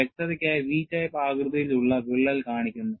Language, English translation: Malayalam, For clarity, the crack is shown as a V type of shape